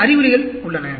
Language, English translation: Tamil, There are some symptoms